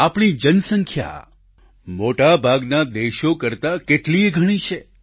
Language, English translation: Gujarati, Our population itself is many times that of most countries